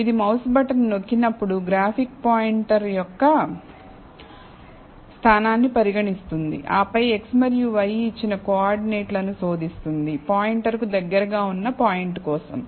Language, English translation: Telugu, So, it treats the position of the graphic pointer, when the mouse button is pressed it, then searches the coordinates given an x and y for the point closest to the pointer